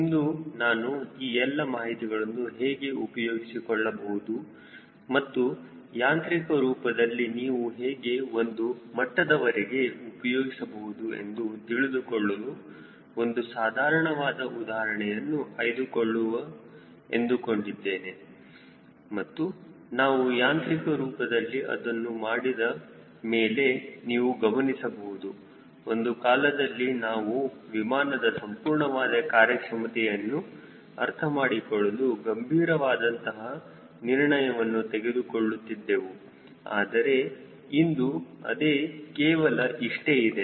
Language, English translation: Kannada, i thought we will take a simple example to see that how all those thing can be made use of and how mechanically you should be able to do it to some extent and you will soon see that once we do it mechanically, there is a time when you have to take a very serious call which will required lot of understanding of overall performance of the aero plane